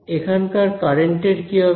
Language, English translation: Bengali, What about this current over here